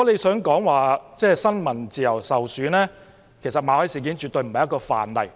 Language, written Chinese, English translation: Cantonese, 談到新聞自由受損，其實馬凱事件絕不是一個範例。, When we talk about freedom of the press being undermined the MALLET incident is not a typical example